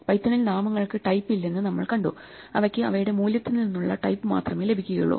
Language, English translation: Malayalam, So, in Python we have seen that names do not have types they only inherit the type from the value that they have